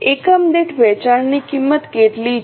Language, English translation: Gujarati, How much is the sale price per unit